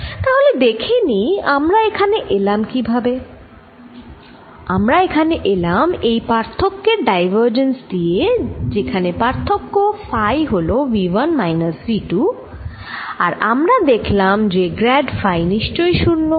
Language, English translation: Bengali, we arrives at this by looking at a divergence of the difference where phi is v one minus v two, and this we used to get that grad phi must be zero